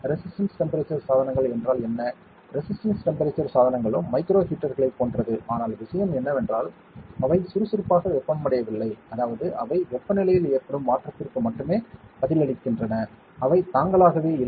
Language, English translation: Tamil, What are resistance temperature devices, resistance temperature devices are also like micro heaters, but the thing the difference is that they are not actively heated, that means, they only respond to a change in temperature to which they are exposed too, they are themselves not heated to a particular temperature